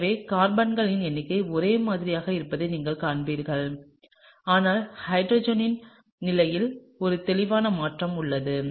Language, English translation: Tamil, So, you see the number of carbons are the same, but there is a clear shift in the position of the hydrogen